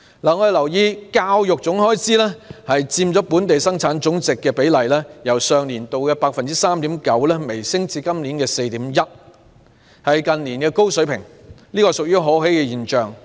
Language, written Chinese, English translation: Cantonese, 我們留意到，教育總開支佔本地生產總值的比例，由上年度的 3.9% 微升至今年的 4.1%， 是近年的高水平，這是可喜的現象。, We note that the total expenditure on education as a percentage of GDP has slightly increased from 3.9 % last year to 4.1 % this year which is a fairly high level in recent years . This is a gratifying phenomenon